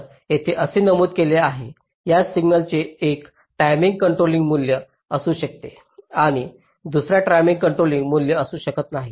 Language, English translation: Marathi, so this is what is mentioned here: the same signal can have a controlling value at one time and non controlling value at another time